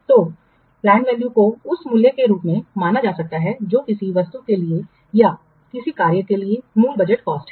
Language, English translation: Hindi, So, plant value can be considered as the value which is the original budgeted cost for some item or for some tax